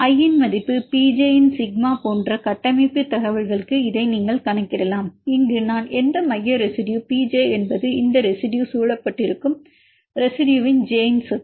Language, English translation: Tamil, This you can account to the structural information like say sigma of P j of i, where here i is the any central residue P j is the property of the residue j which is surrounded with this residue i